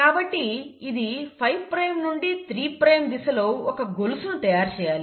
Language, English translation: Telugu, So it has to make a chain in this 5 prime to 3 prime direction